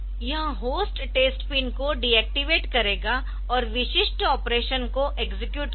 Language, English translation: Hindi, It will deactivate the hosts test pin and execute the specific operation